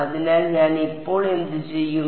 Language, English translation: Malayalam, So, what I will do is now